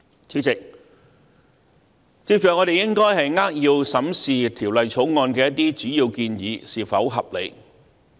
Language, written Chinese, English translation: Cantonese, 主席，接着我們應該扼要審視《條例草案》的一些主要建議是否合理。, President next we should briefly examine whether some major proposals of the Bill are reasonable or not